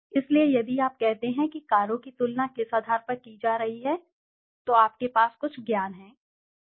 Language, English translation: Hindi, So, if you say on what basis are the cars being compared, so you have some knowledge, correct